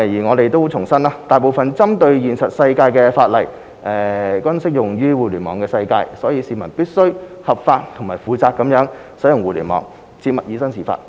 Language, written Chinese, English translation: Cantonese, 我們重申，大部分針對現實世界的法例，均適用於互聯網世界，所以市民必須合法及負責任地使用互聯網，切勿以身試法。, We reiterate that most of the laws in the real world are applicable to the online world . Hence members of the public have to act legally and responsibly in using the Internet and refrain from committing any criminal offence